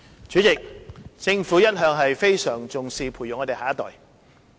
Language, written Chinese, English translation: Cantonese, 主席，政府一向非常重視培育我們的下一代。, President the Government has all along attached great importance to nurturing our next generation